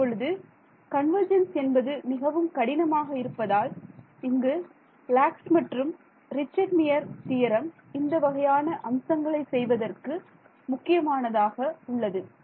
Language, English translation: Tamil, So, now, because convergence is hard to do, here is the theorem by Lax and Richtmyer which is very crucial in these things